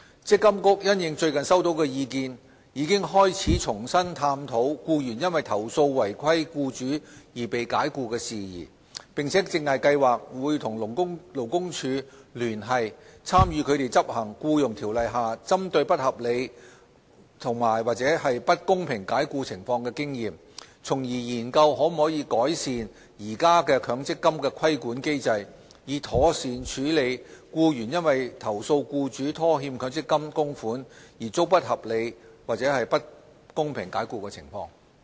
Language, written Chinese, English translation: Cantonese, 積金局因應最近收到的意見，已開始重新探討僱員因投訴違規僱主而被解僱的事宜，並正計劃與勞工處聯繫，參考他們執行《僱傭條例》下針對不合理及/或不公平解僱情況的經驗，從而研究可否改善現行強積金規管機制，以妥善處理僱員因投訴僱主拖欠強積金供款而遭不合理及/或不公平解僱的情況。, In light of recent comments received MPFA has been revisiting the issue of employees being dismissed after lodging complaints against their non - compliant employers . MPFA plans to liaise with the Labour Department to draw reference to their experience in enforcing the Employment Ordinance with respect to unreasonable andor unfair dismissal and explore how the existing MPF regulatory regime could be refined to better handle unreasonable andor unfair dismissal of employees after they have lodged complaints against their employers for defaulting on MPF contributions